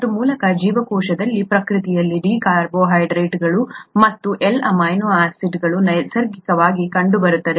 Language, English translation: Kannada, And by the way, in nature in the cell, there are D carbohydrates and L amino acids naturally occurring